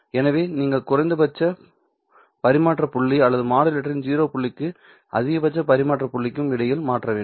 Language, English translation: Tamil, So, you have to switch between minimum transmission point or the 0 point of the modulator to the maximum transmission point which would be at this stage